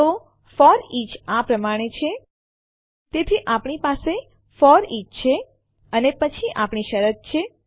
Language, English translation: Gujarati, So, a FOREACH is like this So we have FOREACH and then we have our condition here